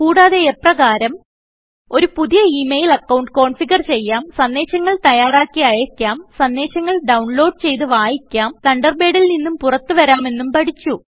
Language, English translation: Malayalam, We also learnt how to: Configure a new email account, Compose and send mail messages, Receive and read messages, Log out of Thunderbird